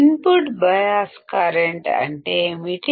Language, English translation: Telugu, What is input bias current